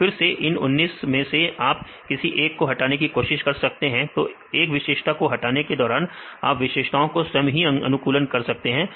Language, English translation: Hindi, So, again among 19; you can try to eliminate one; so while reducing this features, you can optimize the features manually you can do that